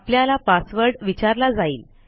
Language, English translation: Marathi, You will be prompted for a password